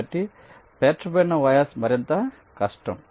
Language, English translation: Telugu, so stacked vias are more difficult